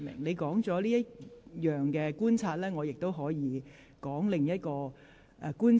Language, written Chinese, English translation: Cantonese, 你已提出你的觀察，我亦已說明了我的另一項觀察。, You have pointed out your observation and I have also explained mine